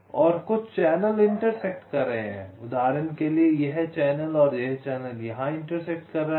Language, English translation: Hindi, so there are channels and some of the channels are intersecting, like, for example, this channel and this channel are intersecting here, this channel and this channel are intersecting, this channel, and this channel is intersecting this channel, this channel is also intersecting